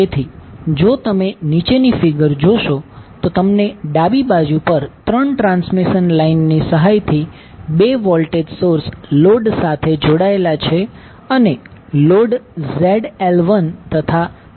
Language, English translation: Gujarati, So, if you see the figure below, you will see on the left there are 2 voltage sources connected to the load with the help of 3 transmission lines and load Zl1 and Zl2 are connected